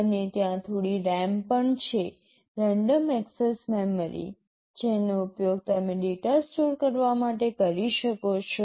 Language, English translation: Gujarati, And there is also some RAM – random access memory, which you can use to store data